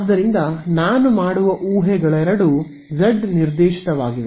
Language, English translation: Kannada, So, the assumptions I will make are both are z directed